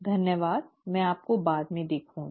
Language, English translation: Hindi, Thank you and I will see you later